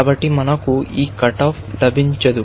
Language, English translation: Telugu, So, we do not get this cut off